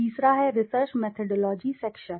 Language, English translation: Hindi, The third is the research methodology section